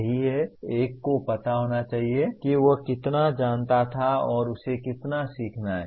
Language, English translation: Hindi, That is, one should know how much he knew and how much he has to learn